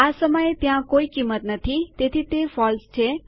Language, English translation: Gujarati, At the moment there is no value so it is false